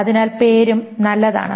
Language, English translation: Malayalam, So name is also fine